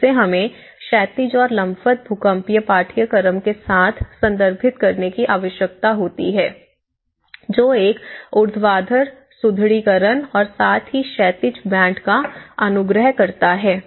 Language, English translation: Hindi, So horizontally and vertically when we need to refer with the earthquake seismic course which recommends that have a vertical reinforcement and as well as the horizontal bands